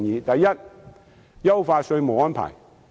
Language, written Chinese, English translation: Cantonese, 第一，優化稅務安排。, The first proposal is improving taxation arrangements